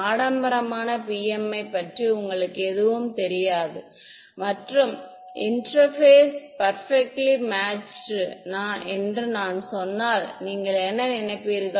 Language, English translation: Tamil, If you did not know anything about fancy PMI and I told you interface is perfectly matched what would you think